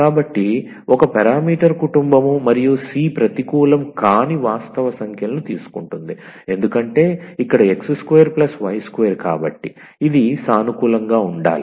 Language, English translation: Telugu, So, one parameter family and the c takes a non negative real numbers, because here x square plus y square so it has to be positive